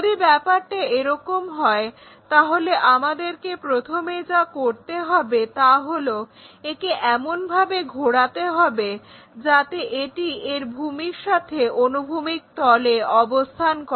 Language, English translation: Bengali, If that is the case what we have to do is first rotate it in such a way that is resting on horizontal plane with its base